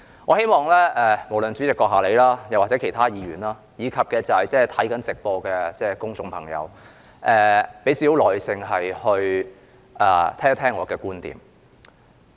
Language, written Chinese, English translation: Cantonese, 我希望不論主席閣下或其他議員，以及正在收看會議直播的公眾朋友，都給予少許耐性聽聽我的觀點。, I hope the President other Members and people watching the live broadcast will listen to my views with some patience